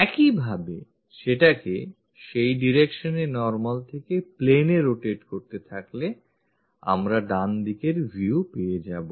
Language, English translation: Bengali, Similarly, by rotating that in that direction normal to the plane, we will get right side view